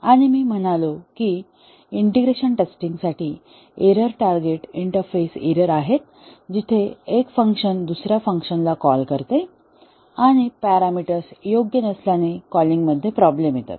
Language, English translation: Marathi, And said that the error targets for integration testing are the interface errors, where one function calls another function, and there is a problem in the calling in the sense that the parameters are not proper